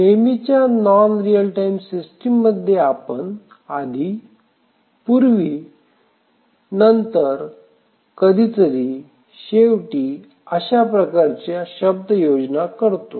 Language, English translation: Marathi, In a traditional non real time system we use terms like before, after, sometime, eventually